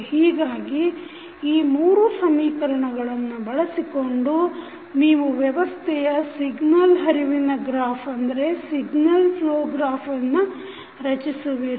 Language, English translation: Kannada, So, using these 3 equations, you have now created the signal flow graph presentation of the system